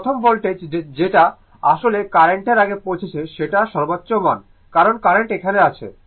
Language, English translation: Bengali, So, first voltage actually reaching it is peak value before current because current is here